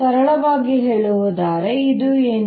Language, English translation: Kannada, simply put, this is what it is